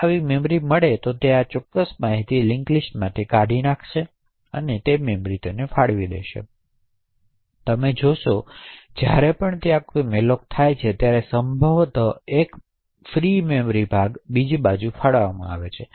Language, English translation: Gujarati, If such chunk is found then that particular data is removed from this link list and it is allocated for that memory, so thus you see whenever there is a malloc that is done it is likely that one chunk of free memory gets allocated on the other hand when a free occurs one of the allocated chunks gets freed and gets added on to the link list